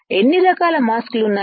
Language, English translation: Telugu, How many types of masks are there